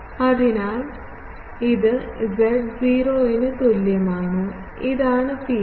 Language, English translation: Malayalam, So, this is at z is equal to 0, this is the field